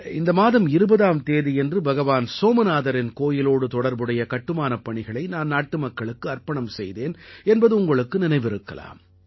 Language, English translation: Tamil, You must be aware that on the 20th of this month the construction work related to Bhagwan Somnath temple has been dedicated to the people